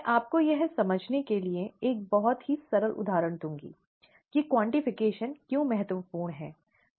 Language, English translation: Hindi, I will give you a very simple example to understand why quantification is important